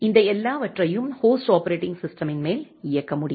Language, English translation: Tamil, And all this thing can run on top of a host operating system